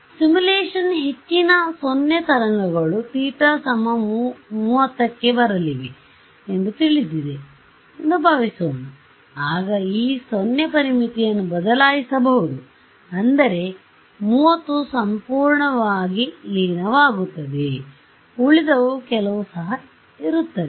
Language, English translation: Kannada, Supposing I know in that my simulation most of my waves are going to come at 30 degrees for whatever reason then, I can change this boundary condition such that 30 degrees gets absorbed perfectly, the rest will have some also, yeah